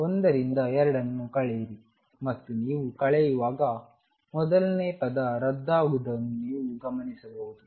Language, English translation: Kannada, Subtract 2 from 1 and when you subtract you notice that the first one cancels